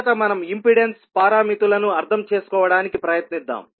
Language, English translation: Telugu, First, we will try to understand the impedance parameters